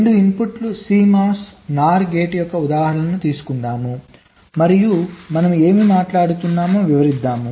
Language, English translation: Telugu, so lets take the example of a two input cmos nor gate and lets illustrate what we are talking about